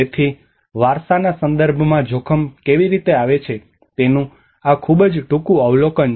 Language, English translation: Gujarati, So this is a very brief overview of how the heritage context comes under risk